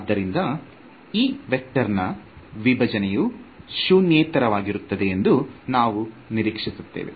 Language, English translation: Kannada, So, we intuitively expect that the divergence of this vector will be non zero